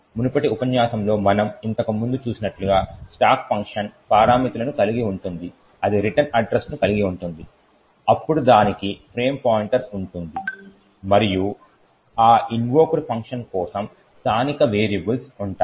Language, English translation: Telugu, The stack would contain the function parameters, it would contain the return address, then it would have a frame pointer and then the local variables for that invoked function